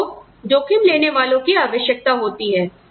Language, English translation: Hindi, You need risk takers